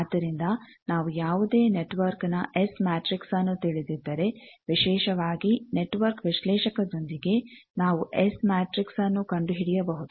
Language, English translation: Kannada, So, we can easily take whether A, if we know S matrix of any network particularly with network analyzer, we can find out S matrix, we can easily check whether it is a reciprocal network or not